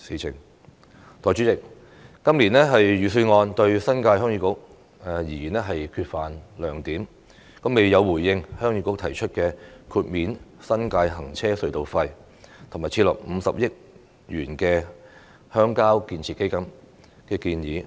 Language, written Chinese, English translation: Cantonese, 代理主席，今年預算案對新界鄉議局而言缺乏亮點，未有回應鄉議局提出豁免新界行車隧道費，以及設立50億元鄉郊建設基金的建議。, The Budget has failed to respond to the proposals of Heung Yee Kuk to exempt the tolls for vehicular tunnels in the New Territories and to set up a 5 billion rural development fund